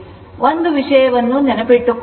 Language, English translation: Kannada, One thing is important to remember